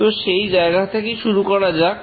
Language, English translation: Bengali, Let's proceed from that point